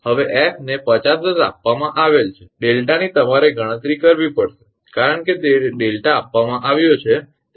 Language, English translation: Gujarati, Now, f is given 50 hertz delta you have to compute because it is given delta is known